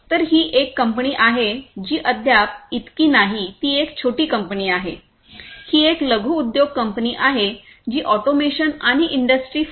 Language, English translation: Marathi, So, this is a company which not so much yet, it is a small scale company, it is a small company which is not very much matured yet in terms of automation and Industry 4